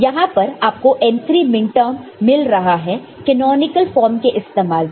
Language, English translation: Hindi, So, here you see the m 3 this is the minterm, that are getting something using the canonical form